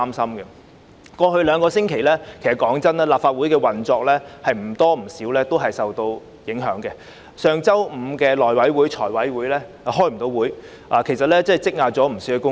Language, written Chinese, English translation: Cantonese, 坦白說，過去兩星期，立法會的運作也略受影響，上星期五的內務委員會和財務委員會無法舉行會議，積壓大量工作。, Frankly speaking in the last fortnight the operation of the Legislative Council was slightly affected . Last Friday the meetings of the House Committee and the Finance Committee could not be held resulting in a huge backlog of work